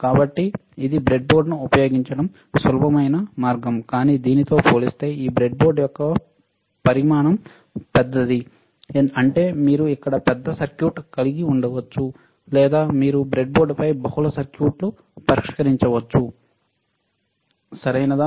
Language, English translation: Telugu, So, it is a easier way of using a breadboard, but this is a bigger size of the breadboard compared to this breadboard; that means, that you can have bigger circuit here, or you can test multiple circuits on the single breadboard, right